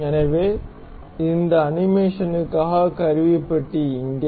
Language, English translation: Tamil, So, here is the tool bar for this animation